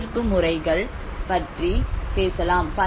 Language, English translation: Tamil, And we talk about the participatory methods